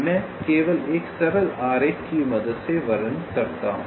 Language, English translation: Hindi, let me just illustrate with the help of a simple diagram